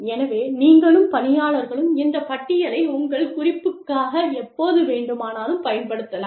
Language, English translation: Tamil, So, you and employee, both can use this list, for your reference, anytime, a mistake has been made